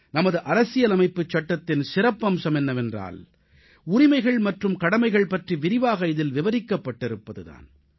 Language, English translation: Tamil, The unique point in our Constitution is that the rights and duties have been very comprehensively detailed